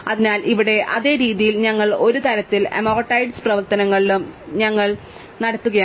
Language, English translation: Malayalam, So, in the same way here we are kind of doing amortized analysis